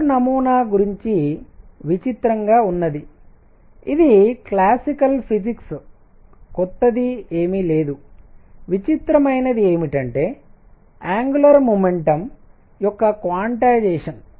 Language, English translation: Telugu, What was dramatic about Bohr’s model this is this is classical physics nothing new what is dramatic was the quantization of angular momentum